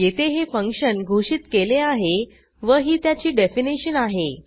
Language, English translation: Marathi, This is the declaration definition of the function